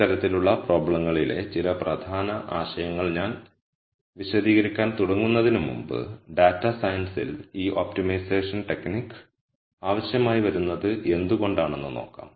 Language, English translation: Malayalam, Before I start explaining some of the key ideas in these types of problems, let us look at why we might need this optimization technique in data science